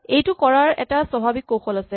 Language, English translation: Assamese, Here is one natural strategy to do this